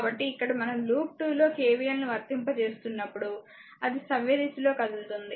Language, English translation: Telugu, So, here when we are applying KVL in the loop 2, thus it is you are moving in the clockwise direction